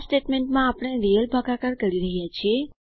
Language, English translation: Gujarati, In this statement we are performing real division